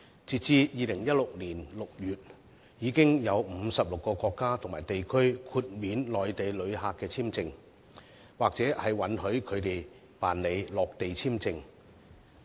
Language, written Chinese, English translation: Cantonese, 截至2016年6月，已有56個國家和地區豁免內地旅客簽證，或允許他們辦理落地簽證。, As at June 2016 56 countries and regions have granted visa - free access or visa - on - arrival to Mainland visitors